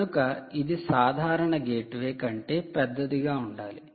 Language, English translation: Telugu, it is bigger than a normal gate way